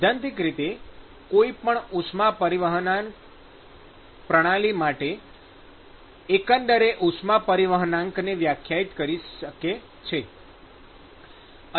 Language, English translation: Gujarati, So, in principle one could define a overall heat transport coefficient for any heat transport system